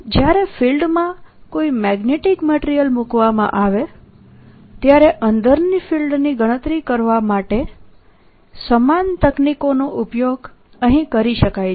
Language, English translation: Gujarati, similar techniques can be used here to calculate the field inside when a magnetic material is put in a field